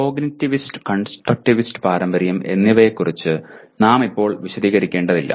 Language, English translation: Malayalam, Let us not elaborate on cognitivist and constructivist tradition